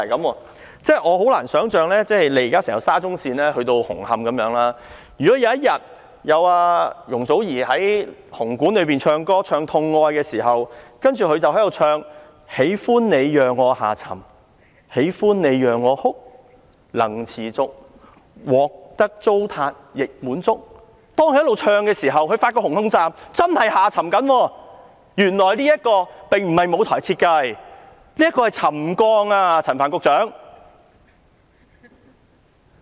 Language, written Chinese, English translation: Cantonese, 我真的難以想象，就現時整條沙中線一直去到紅磡站的問題，如果有一天，當容祖兒在香港體育館演唱"痛愛"時，她唱到"喜歡你讓我下沉/喜歡你讓我哭/能持續獲得糟蹋亦滿足"，發覺一直唱的時候，紅磡站真的正在下沉，原來這並不是舞台設計，而是沉降啊，陳帆局長。, On the problems along the entire SCL all the way to the Hung Hom Station if one day when Joey YUNG is giving a performance and singing Painful Love in the Hong Kong Coliseum as she is singing Loving you for giving me this sinking feelingLoving you for making me cryContent if the trashing goes on she may find that in this course Hung Hom Station is really sinking and Secretary Frank CHAN she will find that this is not the effect of any stage design but the result of settlement